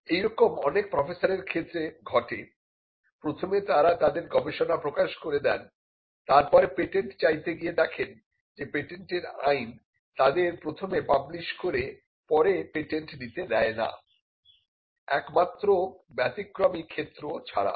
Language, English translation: Bengali, This could be a case that many professors may come across, they have published their research and then they want to patent it only to realize that patent law does not allow them to first publish and then patent; except in exceptional circumstances